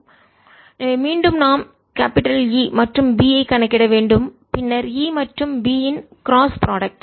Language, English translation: Tamil, so again we have to calculate e, b and then cross product of e and b